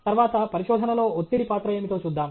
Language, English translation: Telugu, Then, what is the role of stress in research